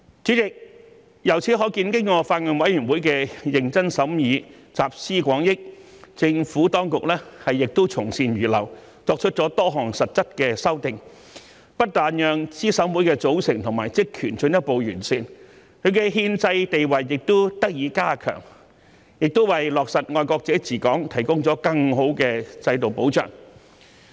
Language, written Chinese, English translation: Cantonese, 主席，由此可見，經過法案委員會的認真審議，集思廣益，政府當局亦從善如流，作出多項實質的修訂，不但讓資審會的組成和職權進一步完善，其憲制地位也得以加強，也為落實"愛國者治港"提供了更好的制度保障。, Chairman it can thus be seen that upon thorough deliberation and pooling of collective wisdom of the Bills Committee the Administration was receptive to the ideas and made a number of substantive amendments to not only further improve the composition and duties of CERC and strengthen its constitutional status but also provide a stronger systemic safeguard for implementing the principle of patriots administering Hong Kong